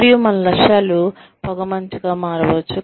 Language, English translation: Telugu, And, our goals could become foggy